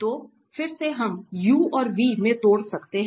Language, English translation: Hindi, So, again we can break into u and v